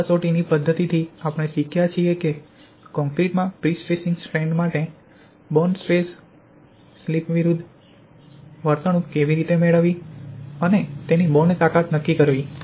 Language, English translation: Gujarati, From this test method we have learned how to obtain the bond stress slip behaviour for prestressing strands in concrete to determine its bond strength